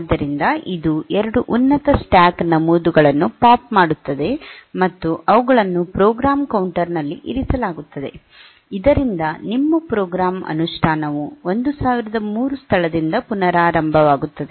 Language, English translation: Kannada, So, that is the 2 top most stack entries will be popped out, and they will be put into the program counter so that your program execution resumes from location 1003